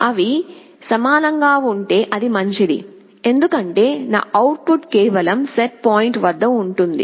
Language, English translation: Telugu, If they are equal it is fine, as my output is just at the set point